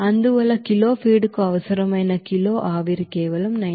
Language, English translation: Telugu, Hence kg of steam required per kg of feed it will be simply that is 90